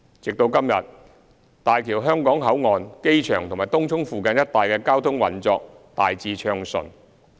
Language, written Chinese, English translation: Cantonese, 至今，大橋香港口岸、機場及東涌附近一帶的交通運作大致暢順。, The traffic at and in the vicinity of the HZMB Hong Kong Port the airport and Tung Chung has generally been smooth